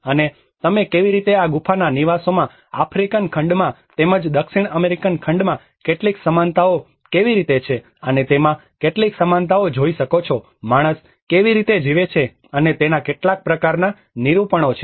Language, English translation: Gujarati, \ \ And you can see some similarities of how these cave dwellings have some similarities in the African continent as well as in the South American continent, some kind of similar depictions of how man has lived